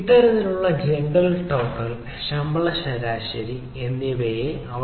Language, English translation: Malayalam, so we have this as gender, total sal and salary avg